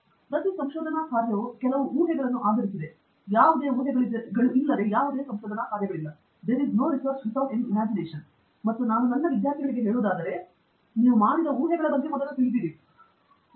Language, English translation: Kannada, Every research work is based on certain assumption; there is no research work which is devoid of any assumptions, and what I tell my students is, first be aware of the assumptions that you have made